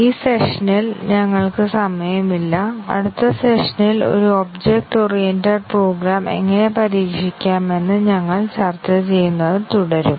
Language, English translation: Malayalam, We are just running out of time in this session, we will continue discussing about how to test an object oriented program in the next session